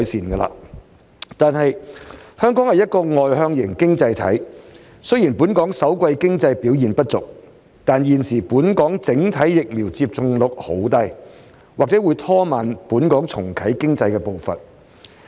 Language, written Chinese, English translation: Cantonese, 然而，香港是一個外向型經濟體，雖然首季經濟表現不俗，但現時本港整體疫苗接種率低，或會拖慢重啟經濟的步伐。, However Hong Kong is an externally - oriented economy . While the economic performance in the first quarter has fared well the current vaccination rate in Hong Kong remains low in general and this may slow down the pace of economic recovery